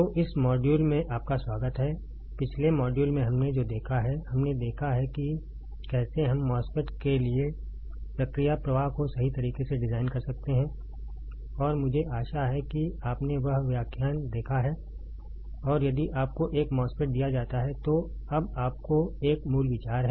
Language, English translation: Hindi, So, welcome to this module, in the last module what we have seen we have seen how we can design the process flow for a MOSFET right and I hope you have seen that lecture and you now have a basic idea if you are given a MOSFET, and if you are asked to design the process flow for fabricating the MOSFET you can fabricate the or at least process the design right